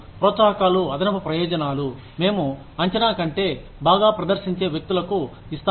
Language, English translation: Telugu, Incentives are additional benefits, we give to people, who perform better than, what is expected